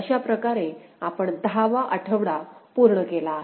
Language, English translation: Marathi, So, with this we come to the completion of week 10